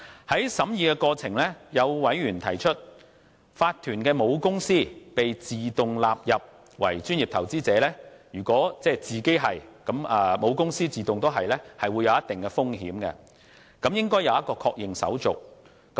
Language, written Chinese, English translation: Cantonese, 在審議的過程中，有委員提出，法團的母公司會被自動納入為專業投資者的做法，即如果子公司屬專業投資者，則母公司會自動成為專業投資者，會構成一定的風險，政府應設立確認手續。, In the course of scrutiny some members referred to the fact that the holding company of a corporation is to be automatically qualified as a professional investor . According to them certain risks will result if the status of the subsidiary as a professional investor will make the holding company automatically so qualified